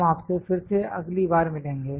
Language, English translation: Hindi, We will meet you again next time